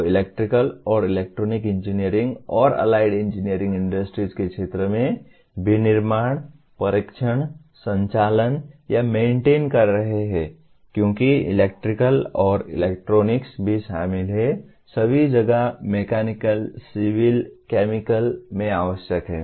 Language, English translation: Hindi, They are manufacturing, testing, operating, or maintaining systems in the field of electrical and electronic engineering and allied engineering industries because electrical and electronics are also involved, are required in mechanical, civil, chemical all over the place